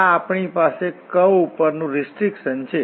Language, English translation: Gujarati, So, this is what the restriction we have on the curve